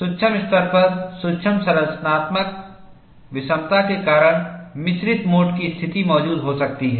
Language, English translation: Hindi, At the microscopic level, due to micro structural heterogeneity, mixed mode conditions can exist